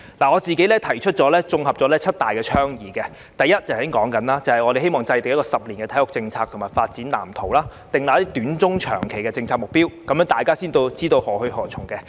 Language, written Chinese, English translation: Cantonese, 我綜合了七大倡議：第一，正如剛才所說，我們希望制訂10年的體育政策和發展藍圖，訂立短、中、長期的政策目標，這樣大家才知道何去何從。, I have consolidated the suggestions into seven major categories . First as mentioned just now we hope that the Government will formulate a 10 - year sports policy and development blueprint and set out short medium and long - term policy objectives so that everyone knows where we are heading